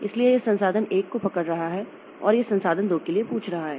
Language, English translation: Hindi, So, it is holding resource 1 and it is asking for resource 2